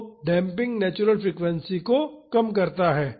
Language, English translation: Hindi, So, the damping decreases the natural frequency